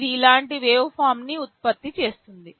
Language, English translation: Telugu, It will be generating a waveform like this